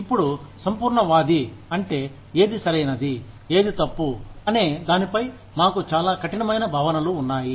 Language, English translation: Telugu, Now, being an absolutist, which means, we have very strict notions of, what is right, what is wrong